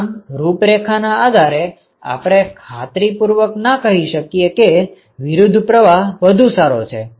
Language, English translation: Gujarati, Based on this profile, you really cannot say for sure that counter flow is better